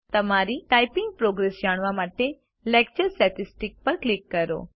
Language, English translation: Gujarati, Click on Lecture Statistics to know your typing progress